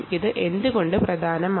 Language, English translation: Malayalam, but why is this important